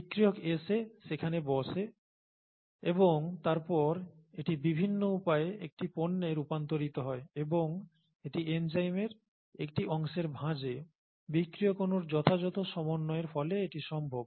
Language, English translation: Bengali, The reactant comes and sits there and then it gets converted to a product by various different means and it is the appropriate fit of the substrate molecule to the fold in the enzyme, a part of the enzyme that makes this possible, okay